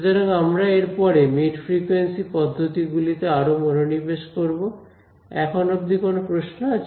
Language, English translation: Bengali, So, we will focus on this the mid frequency methods in this course any questions so far